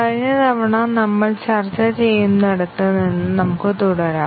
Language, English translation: Malayalam, Let us continue from where we are discussing last time